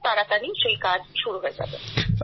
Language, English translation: Bengali, Now that work is also going to start soon